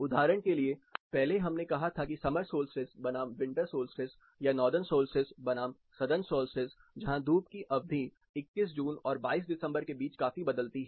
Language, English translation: Hindi, For example, earlier we said summer solstice versus winter solstice or the Northern solstice versus Southern solstice where the sun’s duration of sunshine considerably varies between June 21st and December 22nd